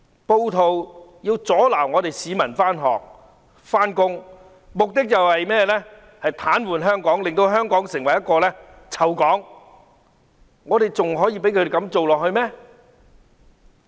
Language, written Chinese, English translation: Cantonese, 暴徒要阻撓市民上學、上班，目的是要癱瘓香港，令香港成為"臭港"，我們還要容忍他們繼續這樣做嗎？, Rioters want to stop people from going to school or to work . They want to gridlock Hong Kong and turn Hong Kong into a stinky port . Should we continue to put up with them?